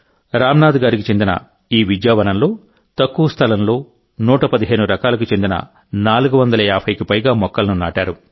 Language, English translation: Telugu, In the tiny space in this Vidyavanam of Ramnathji, over 450 trees of 115 varieties were planted